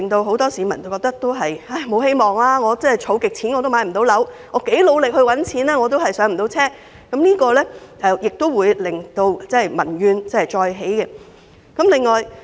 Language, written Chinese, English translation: Cantonese, 很多市民因而感到無望，覺得自己拼命儲蓄和賺錢都無法"上車"，這個問題會令民怨再起。, Many people hence felt hopeless thinking that they may never have their own flat even if they work hard and save hard . This problem will arouse public grievances again